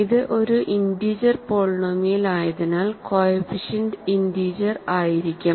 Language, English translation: Malayalam, So, since it is an integer polynomial we of course, know that the coefficients are integers